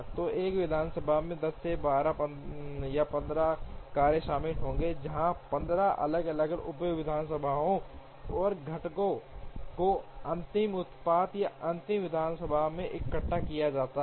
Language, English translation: Hindi, So, an assembly would involve 10 or 12 or 15 tasks, where 15 different subassemblies and components are assembled into a final product or final assembly